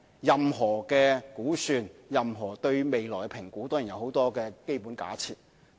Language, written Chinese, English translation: Cantonese, 任何估算，任何對未來的評估都有許多基本假設。, Any estimation any estimation on the future is based on many basic assumptions